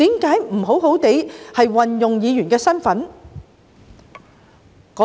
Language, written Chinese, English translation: Cantonese, 為何不好好運用自己議員的身份呢？, I went on to ask him why he did not make good use of his capacity as a Member